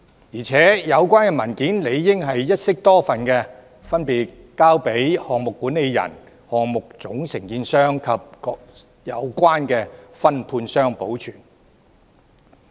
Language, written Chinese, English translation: Cantonese, 而且，有關文件理應一式多份，分別交由項目管理人、項目總承建商和各有關分判商保存。, Moreover the relevant documents should consist of a number of copies respectively kept by the project manager the principal contractor of the project and various subcontractors concerned